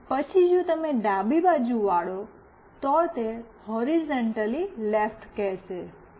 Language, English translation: Gujarati, And then if you turn left, it will say horizontally left